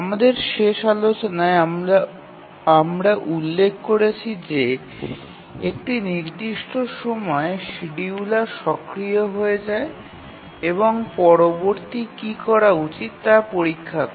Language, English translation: Bengali, And in our last discussion we had mentioned that the instance at which the scheduler becomes active and checks what to do next are called as scheduling points